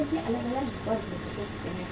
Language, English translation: Hindi, There might be different segments of the people